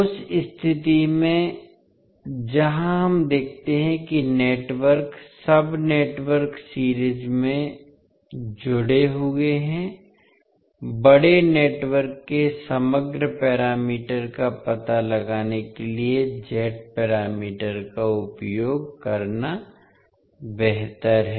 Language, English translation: Hindi, So in that case where we see that the networks, sub networks are connected in series, it is better to utilise the Z parameters to find out the overall parameter of the larger network